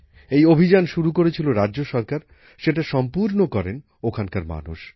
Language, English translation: Bengali, This campaign was started by the state government; it was completed by the people there